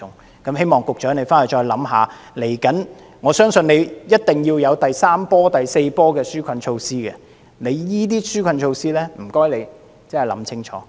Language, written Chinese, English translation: Cantonese, 局長，希望你回去考慮一下，不久的將來，我相信一定會有第三波、第四波的紓困措施，請你好好審視你這些紓困措施。, Secretary I hope that you can think about it after the meeting . I believe that in the near future there will surely be the third and the fourth rounds of relief measures so please examine these relief measures properly